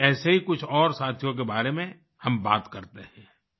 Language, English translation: Hindi, Today also, we'll talk about some of these friends